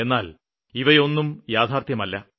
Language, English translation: Malayalam, But this is not the truth